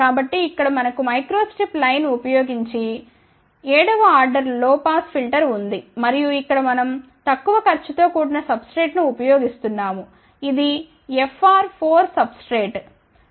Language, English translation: Telugu, So, here we have a 7th order low pass filter using microstrip line and here we have use the relatively low cost substrate which is FR 4 substrate epsilon r 4